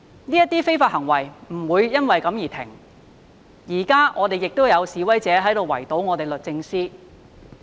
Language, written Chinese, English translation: Cantonese, 這些非法行為不會因為這樣而停止，現在亦有示威者在圍堵律政中心。, But these illegal acts will not stop because of this . Some protesters are surrounding the Justice Place at this moment